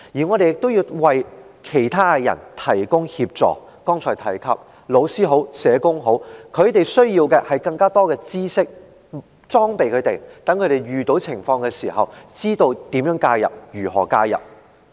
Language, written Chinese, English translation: Cantonese, 我們亦要為其他人提供協助，例如剛才提及的老師或社工，他們需要更多知識來裝備自己，讓他們遇到有關情況時，知道要如何介入。, We too have to provide assistance to other people such as teachers and social workers I mentioned just now . They need to equip themselves with more knowledge so that they will know how to intervene when they encounter relevant situations